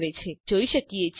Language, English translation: Gujarati, We can see that here